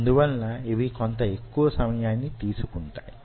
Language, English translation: Telugu, it will take a little bit more time